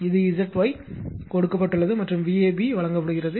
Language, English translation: Tamil, This is your Z y is given, and V ab is also given